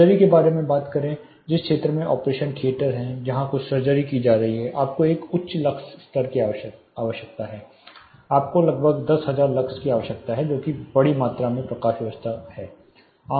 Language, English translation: Hindi, Talk about a surgical you know area where an operation theater some surgeries being performed you need a very high lux level, you need close to 10,000 lux that is very huge amount of lighting is required